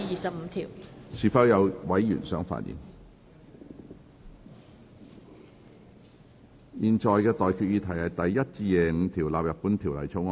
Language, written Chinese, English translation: Cantonese, 我現在向各位提出的待決議題是：第1至25條納入本條例草案。, I now put the question to you and that is That clauses 1 to 25 stand part of the Bill